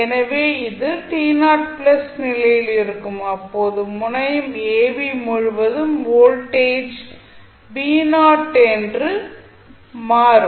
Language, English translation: Tamil, So, it will at t 0 plus condition, the voltage across terminal ab will become v naught